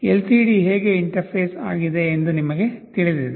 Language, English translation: Kannada, You know how a LCD is interfaced